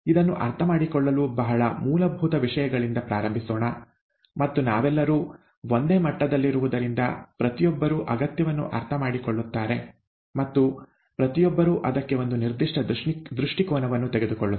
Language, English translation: Kannada, To understand this, let me start at the very basics, and, so that we are all at the same level, everybody understands the need and everybody takes a certain view to that